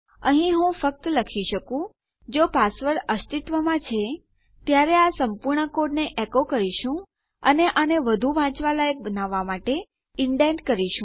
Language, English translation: Gujarati, Here i could just say if password exists then we can echo out all this code and we can indent this to make it more readable